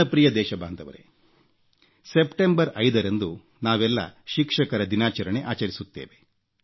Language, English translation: Kannada, My dear countrymen, we celebrate 5th September as Teacher's Day